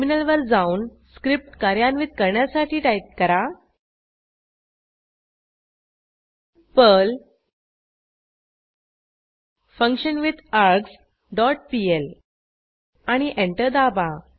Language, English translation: Marathi, Then switch to the terminal and execute the Perl script by typing perl simpleFunction dot pl and press Enter